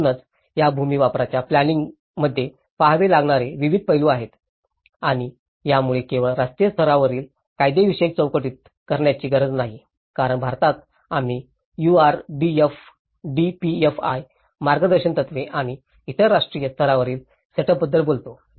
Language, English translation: Marathi, So, like that there are various aspects one has to look at and in this particular land use planning, this not only has to do the national level legislatory framework as because in India we talk about the URDPFI guidelines and various other national level setup